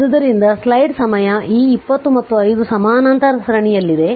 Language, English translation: Kannada, So, if you look into this this 20 and 5 are in parallel series